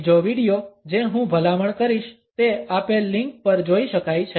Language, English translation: Gujarati, Another video, which I would recommend can be accessed on the given link